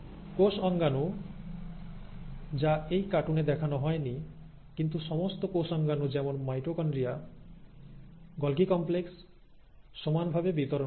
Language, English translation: Bengali, The cell organelles, it is not shown in this cartoon, but all the cell organelles like the mitochondria, the Golgi complex also gets equally distributed